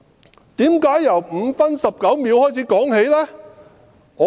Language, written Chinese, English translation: Cantonese, 他為甚麼要由5分19秒起計？, Why did he start marking the time at 5 minute 19 second?